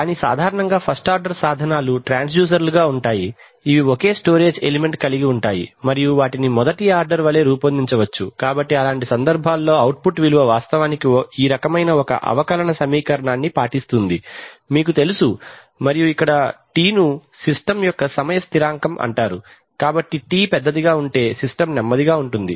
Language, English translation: Telugu, But so typically first order instruments are transducer that contain a single storage element and can be modeled of a first order, so in for such cases the output value actually obeys some kind of a differential equation which is of this type, you know and where τ is called the time constant of the system, so if τ is larger than the system slowly rise, Rises while it if τ is short then the system is fast